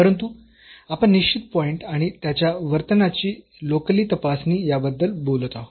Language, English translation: Marathi, But we are talking about at a certain point and checking its behavior locally